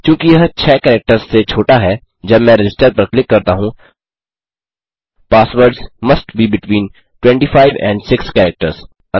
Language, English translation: Hindi, Since this is under 6 characters, when I click Register Passwords must be between 25 and 6 characters